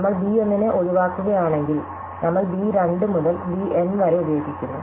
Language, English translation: Malayalam, So, if we exclude b 1, then we just use b 2 to b N